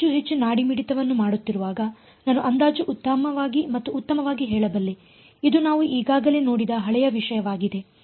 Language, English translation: Kannada, As I make more and more pulses I can approximate better and better right this is the old stuff we have already seen this ok